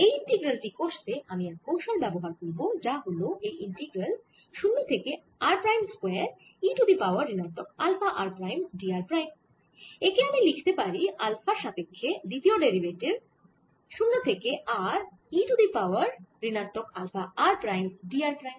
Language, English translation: Bengali, i am going use a small trick here to calculate this integral, which is, if i want to calculate zero to r r prime square e raise to minus alpha r prime d r prime, i can write this as the second derivative with respect to alpha of integral e raise to minus alpha r prime d r prime zero to r